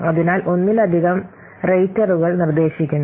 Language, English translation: Malayalam, So multiple raters are required